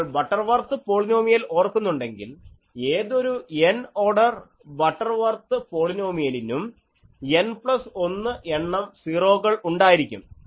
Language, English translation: Malayalam, If you remember the Butterworth polynomial that it has n number of 0s any nth order Butterworth polynomial as n plus 1 0s